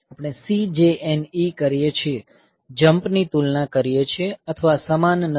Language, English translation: Gujarati, We do CJNE, compare jump or not equal